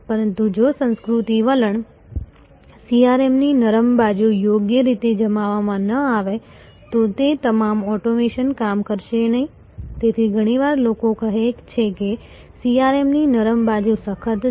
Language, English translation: Gujarati, But, all that automation will not work if the culture attitude, the soft side of CRM is not properly deployed, so the often people say therefore, that the soft side of CRM is harder